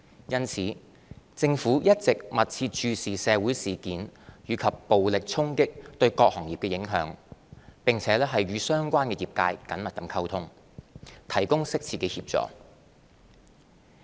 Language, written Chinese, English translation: Cantonese, 因此，政府一直密切注視社會事件及暴力衝擊對各行業的影響，並與相關業界緊密溝通，提供適切的協助。, We have been paying close attention to the impacts of social incidents and violent clashes on various trades and industries maintaining close communication with them and offering appropriate assistance